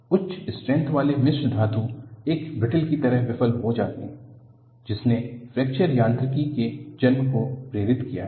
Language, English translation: Hindi, The high strength alloys fail in a brittle fashion has prompted the birth of Fracture Mechanics